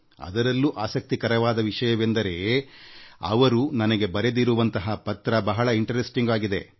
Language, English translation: Kannada, And the best part is, what she has written in this letter is very interesting